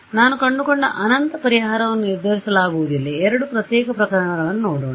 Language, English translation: Kannada, So, infinite solution that I found is undetermined, let us look at two separate cases ok